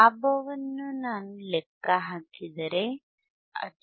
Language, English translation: Kannada, Iif I calculate my gain my gain, it is 0